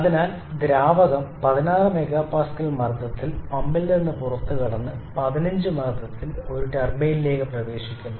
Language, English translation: Malayalam, So, the fluid exits the pump at a pressure of 16 MPa and enters a turbine in a pressure of 15 MPa